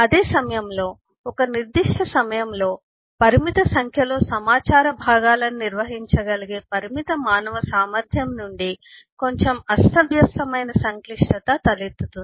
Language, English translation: Telugu, at the same time, there is a quite a bit of disorganized complexity arising out of the limited human capacity to handle eh, a limited number of eh information chance at a given point of time